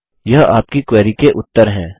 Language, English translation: Hindi, These are the results of your query